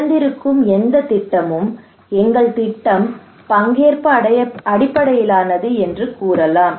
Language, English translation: Tamil, Any project you open they would say that our project is participatory